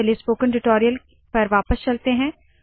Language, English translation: Hindi, Back to spoken tutorials